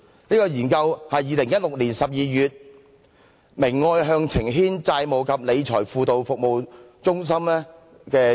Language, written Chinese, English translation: Cantonese, 這項研究是2016年12月由明愛向晴軒債務及理財輔導服務中心發表的。, The findings of this study were published by the debt counselling and financial capability service of the Caritas Family Crisis Support Centre in December 2016